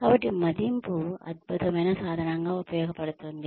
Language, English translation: Telugu, So, appraisal serve as an excellent tool